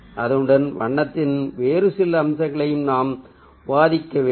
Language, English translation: Tamil, with that, we will also ah need to discuss some other ah aspects of color